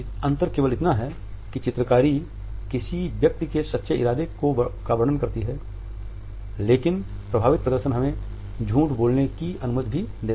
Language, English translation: Hindi, The only difference is that illustrators, illustrate the true intention of a person, but affect displays allow us to tell a lie